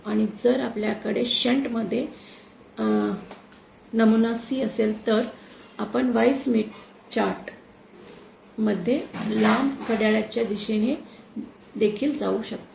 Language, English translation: Marathi, And if we have an ideal C in shunt, then we can also go a long clockwise direction in the Y Smith chart